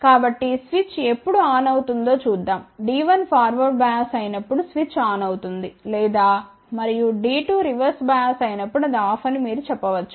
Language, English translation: Telugu, So, let us see when switch will be on switch will be on when D 1 is forward bias or on and when D 2 is reverse bias or you can say it is off ok